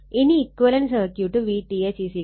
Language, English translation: Malayalam, Then the equivalent circuit is this V 45